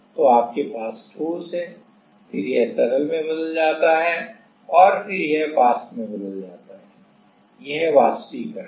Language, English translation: Hindi, So, you have solid, then it goes to liquid and then it goes to vapor in so, this is evaporation